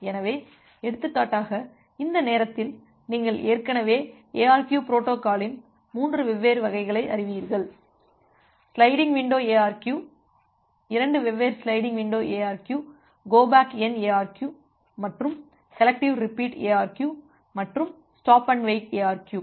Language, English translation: Tamil, So, for example, by this time you already know three different variants of ARQ protocols; the sliding window ARQ, the two different sliding windows ARQ go back N ARQ and selective repeat ARQ and along with that stop and wait ARQ